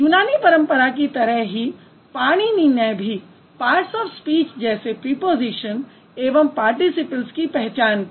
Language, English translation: Hindi, Just like the Greek tradition, Panini also recognized more parts of speeches like prepositions and particles